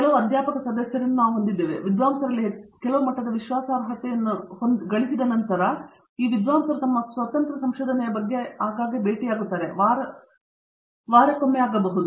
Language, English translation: Kannada, We have a few faculty members who, after having gained a certain level of confidence in the scholar may suggest that this scholar go about their own independent research and meet them even less frequently than weeks